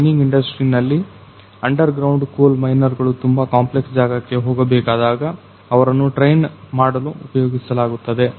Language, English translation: Kannada, In mining industry basically it is used to train the underground coal miners, whenever they are going to a very complex area